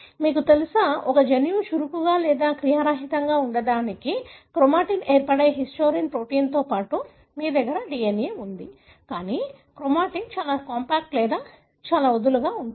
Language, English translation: Telugu, You know, there are, for a gene to be active or inactive, you know, you have the DNA along with the histone protein which forms the chromatin, but the chromatin is very compact or very loose